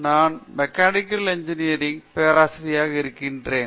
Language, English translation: Tamil, I am a professor in the Department of Mechanical Engineering